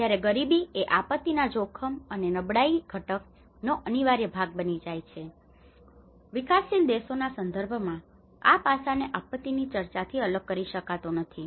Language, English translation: Gujarati, When poverty becomes an integral part of the disaster risk and the vulnerability component, and in the context of developing countries this aspect cannot be secluded from the disaster discussion